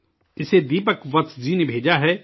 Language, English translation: Urdu, It has been sent by Deepak Vats ji